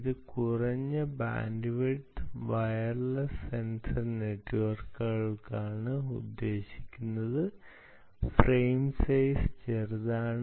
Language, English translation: Malayalam, it is meant for low bandwidth, it is meant for low bandwidth wireless sensor networks, right, and frame sizes are small